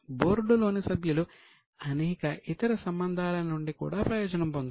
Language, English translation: Telugu, The board was also benefiting from various other relationships